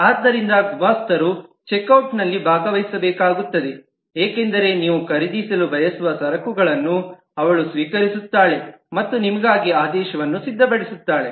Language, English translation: Kannada, So the clerk has to take part in the check out because she accepts the goods that you want to buy and prepares the orders for you